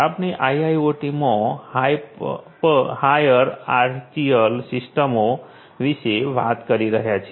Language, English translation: Gujarati, We are talking about hierarchical systems in IIoT